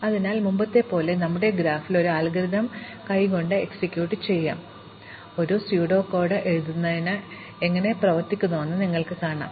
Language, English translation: Malayalam, So, as before let us execute this algorithm by hand on our graph, and see how it works before we write the pseudo code